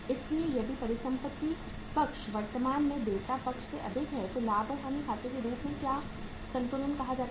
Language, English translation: Hindi, So if the asset side is more than the current say liability side, so what is the balance called as, as the profit and loss account